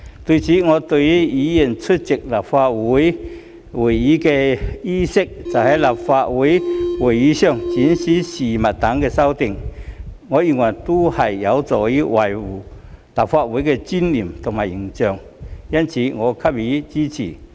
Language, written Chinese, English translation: Cantonese, 此外，對於議員出席立法會會議的衣飾、在立法會會議上展示物件等的修訂，我認為都是有助維護立法會的尊嚴和形象，因此我給予支持。, In addition with respect to the amendments concerning the attire for Members attending Council meetings and the display of objects by Members at Council meetings etc I support these amendments since I think they will help uphold the dignity and image of the Legislative Council